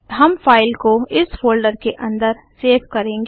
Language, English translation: Hindi, We will save the file inside this folder